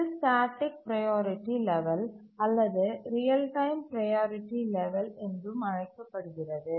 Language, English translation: Tamil, This is also called a static priority level or real time priority level